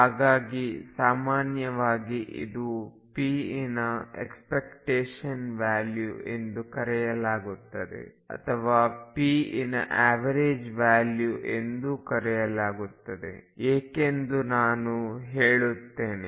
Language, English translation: Kannada, So, in general this is going to be called the expectation value of p or the average p and let me now tell you why